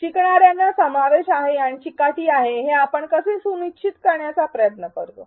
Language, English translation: Marathi, How do we try to make sure that learners feel included and the persevere